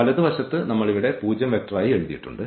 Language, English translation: Malayalam, So, these are the and now the right hand side again this 0 vector